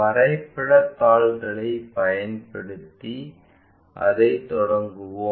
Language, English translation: Tamil, Let us begin that using our graph sheets